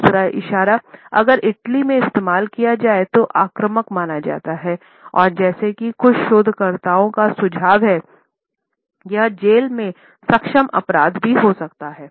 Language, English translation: Hindi, The second gesture if used in Italy is considered to be offensive and as some researchers suggest, it can be a jailable offense also